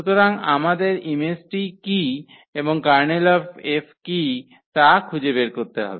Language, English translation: Bengali, So, we need to find what is the image and what is the Kernel of F